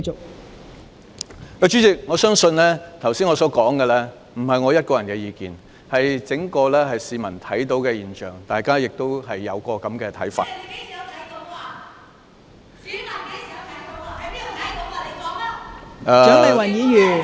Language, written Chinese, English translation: Cantonese, 代理主席，我相信我剛才所說的，並非我一個人的意見，是市民看到的整體現象，大家亦有這個看法。, Deputy President I believe what I said just now is not just my personal view but an overall observation by members of the public and they also hold this view